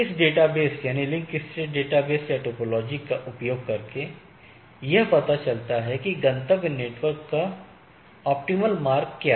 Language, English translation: Hindi, And, they using this database, link state database or the topology it constitute or it finds out that what is the optimal path or optimal route to the destination network right